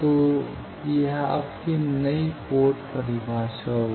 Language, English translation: Hindi, So, this will be your new port definition